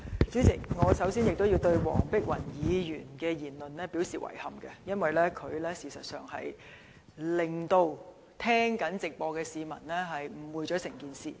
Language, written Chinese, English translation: Cantonese, 主席，首先，我要對黃碧雲議員的言論表示遺憾，因為她會令正在收聽立法會會議直播的市民對整件事情有所誤會。, President first of all I have to express regret over Dr Helena WONGs remarks which has misled members of the public who are listening to the live broadcast of this Legislative Council meeting about the whole matter